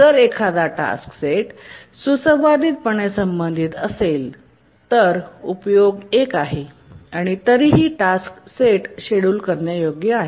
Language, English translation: Marathi, But then here in the harmonically related task set, even if the utilization is up to one, still the task set remains schedulable